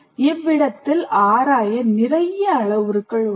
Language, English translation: Tamil, So you have a whole bunch of parameters to explore